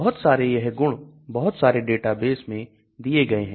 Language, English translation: Hindi, So many of these properties are given in many of the databases